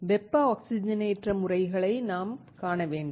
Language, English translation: Tamil, We have to see the thermal oxidation methods